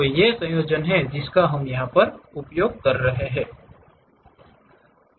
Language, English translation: Hindi, So, these are the combinations what we will use